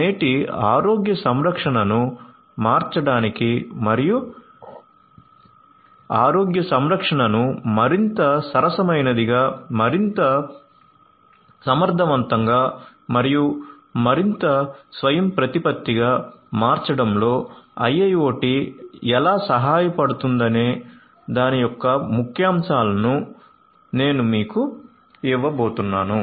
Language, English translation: Telugu, So, I am going to give you the highlights of how IIoT can help in transforming present day health care and making healthcare much more affordable, much more efficient and much more autonomous